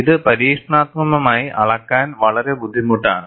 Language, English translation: Malayalam, This is a very difficult to measure experimentally